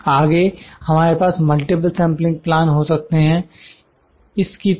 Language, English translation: Hindi, Further we can have a multiple sampling plans like this